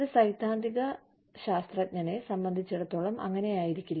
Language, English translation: Malayalam, May be, for a theoretical scientist, that may not be the case